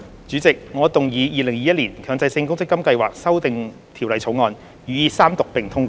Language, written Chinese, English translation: Cantonese, 主席，我動議《2021年強制性公積金計劃條例草案》予以三讀並通過。, President I move that the Mandatory Provident Fund Schemes Amendment Bill 2021 be read the Third time and do pass